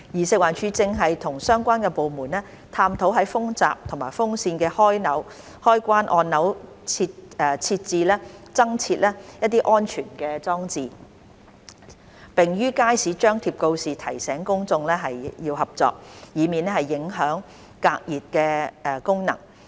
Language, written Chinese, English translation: Cantonese, 食環署正與相關部門探討在風閘及風扇的開關按鈕增設安全裝置，並於街市張貼告示提醒公眾合作，以免影響隔熱功能。, To avoid affecting the function of blocking hot air from the outside FEHD and the relevant departments are exploring whether security device may be installed for the switches of the air curtains and ceiling fans . Besides FEHD has put up a notice in the Market to solicit the publics cooperation